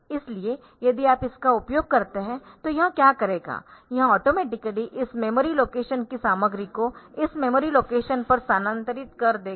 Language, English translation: Hindi, So, if you use this, what it will do it will automatically transfer the content of these memory locations to this memory location